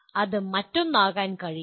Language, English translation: Malayalam, It cannot be anything else